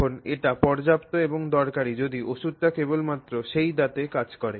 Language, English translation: Bengali, Now, it is sufficient and useful if the medicine acts only on that tooth